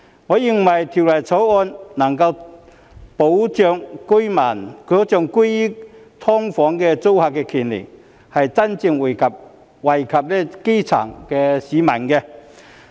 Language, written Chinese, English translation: Cantonese, 我認為《條例草案》能夠保障居於"劏房"租客的權利，是真正惠及基層市民的。, I consider the Bill capable of safeguarding the rights of the tenants living in subdivided units SDUs which can genuinely benefit the grass roots